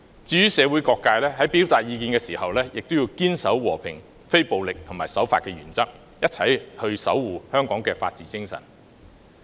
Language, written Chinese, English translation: Cantonese, 至於社會各界，在表達意見時，也要堅守和平、非暴力及守法的原則，一起守護香港的法治精神。, Various sectors in society when expressing their views should also uphold the principle of peace non - violence and observing the law thus safeguarding the spirit of the rule of law together